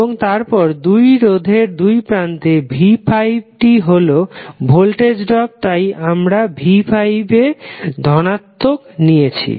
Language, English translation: Bengali, And then again across resistive element v¬5 ¬it is voltage drop so we will say as positive v¬5¬